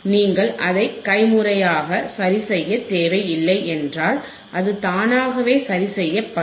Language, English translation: Tamil, If you do not need to adjust it manually, it can automatically adjust